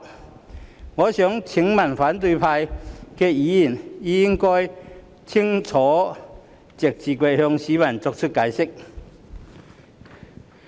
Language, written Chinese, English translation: Cantonese, 這一點，我想請反對派議員清楚直接向市民解釋。, I wish to ask Members of the opposition camp to clearly and directly explain this notion to the people